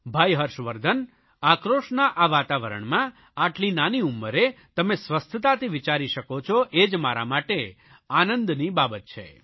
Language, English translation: Gujarati, Brother Harshvardhan, I am happy to know that despite this atmosphere charged with anger, you are able to think in a healthy manner at such a young age